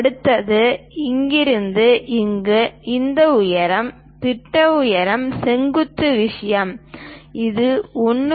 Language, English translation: Tamil, The next one is from here to here this height, the projection height vertical thing this is 1